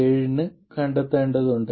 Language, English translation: Malayalam, 7 you would have to do it for 6